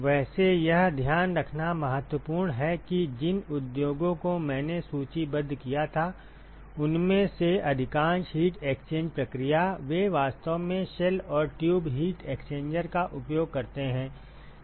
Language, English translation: Hindi, By the way it is important to note that, most of the heat exchange process in all the industries that I had listed, they actually use shell and tube heat exchanger